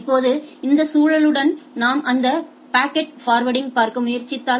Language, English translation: Tamil, Now, if we with this context if we try to look at that packet forwarding